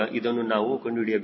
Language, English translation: Kannada, this i have to calculate